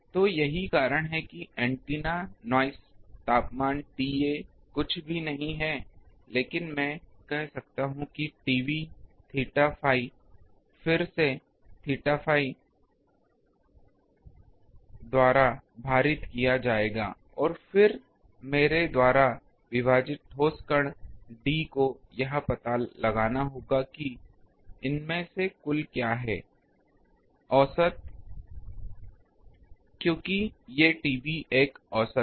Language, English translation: Hindi, So, that is why the antenna noise temperature T A is nothing but the I can say T B theta phi that will be weighted by again theta phi and then d the solid angle divided by I will have to find out what is the total of these that is the average because these T A is an average